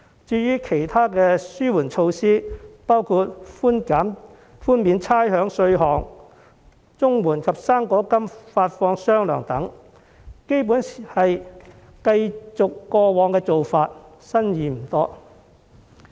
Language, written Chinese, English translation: Cantonese, 至於其他紓緩措施，包括寬免差餉稅項、綜援及"生果金"發放"雙糧"等，基本上是繼續過往做法，新意不多。, Other bailout measures such as rates and tax relief; double pay of the Comprehensive Social Security Assistance CSSA and fruit grant are basically past practices without many new ideas